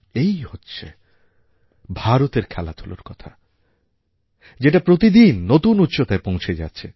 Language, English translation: Bengali, This is the real story of Indian Sports which are witnessing an upswing with each passing day